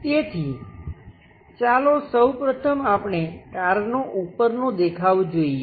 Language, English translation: Gujarati, So, let us first of all look at top view of a car